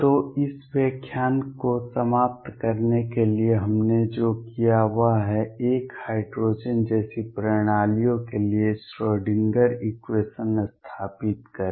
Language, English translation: Hindi, So, to conclude this lecture what we have done is: one, set up the Schrodinger equation for hydrogen like systems